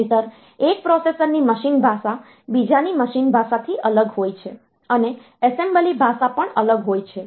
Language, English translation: Gujarati, Otherwise the machine language of one processor is different from the machine language of another, and assembly language is also different